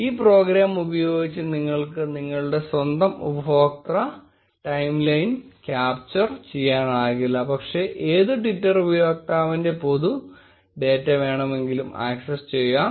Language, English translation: Malayalam, Using this program, you cannot just capture your own user timeline, but also fetch the public data of any Twitter user